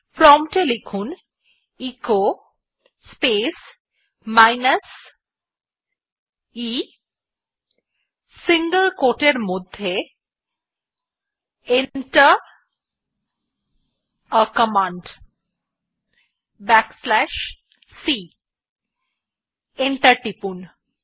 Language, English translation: Bengali, Type at the prompt echo space minus e within single quote Enter a command \c and press enter